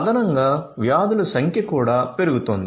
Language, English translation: Telugu, Additionally, the number of diseases are also increasing